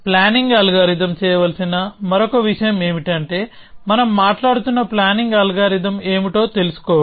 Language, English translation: Telugu, So, another thing that the planning algorithm will have to do is to know what is the planning algorithm we are talking about